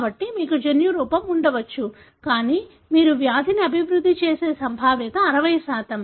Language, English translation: Telugu, So, you may have a genotype, but the probability that you would develop the disease is 60%